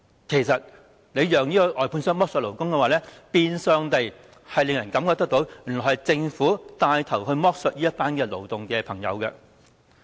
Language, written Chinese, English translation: Cantonese, 其實讓外判商剝削勞工，變相令人覺得是政府帶頭剝削這群勞動工友。, In fact letting contractors exploit workers gives people the impression that the Government is taking the lead to exploit this group of workers